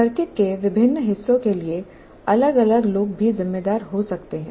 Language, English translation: Hindi, And many different people may be responsible for different parts of the circuit as well